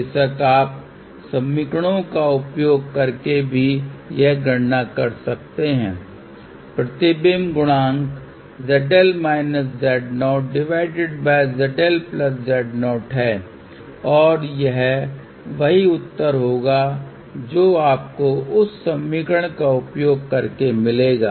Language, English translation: Hindi, Of course, you can do this calculation using the equations also, reflection coefficient is Z L minus Z 0 divided by Z L plus Z 0 and this will be the same answer you will get by using that equation